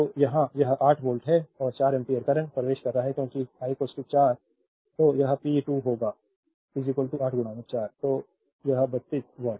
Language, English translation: Hindi, So, here it is 8 volt and 4 ampere current is entering because I is equal to 4